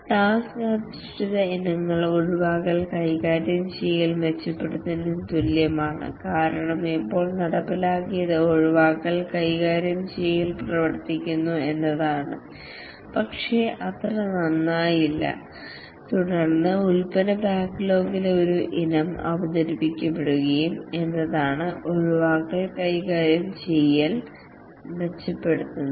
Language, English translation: Malayalam, The task based items are like improve exception handling because still now what was implemented is that the exception handling it works but not that well and then an item in the product backlog will be introduced is that improve the exception handling